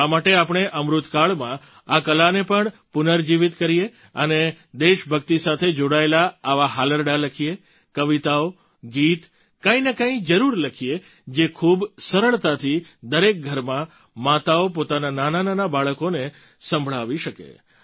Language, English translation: Gujarati, So why don't we, in the Amritkaal period, revive this art also and write lullabies pertaining to patriotism, write poems, songs, something or the other which can be easily recited by mothers in every home to their little children